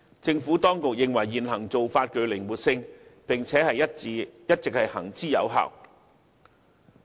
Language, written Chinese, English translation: Cantonese, 政府當局認為現行做法具靈活性，並且一直行之有效。, The Administration considers that such current practices can help maintain flexibility and has all along been effective